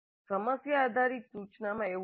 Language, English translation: Gujarati, That is not so in problem based instruction